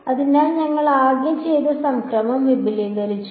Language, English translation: Malayalam, So, we just expanded the summation that is all we did